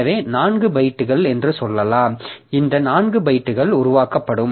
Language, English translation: Tamil, So, this 4 bytes will be created